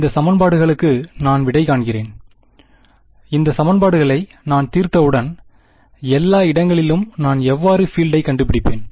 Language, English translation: Tamil, Let us say, I solve these equations; once I solve these equations, how will I find the field everywhere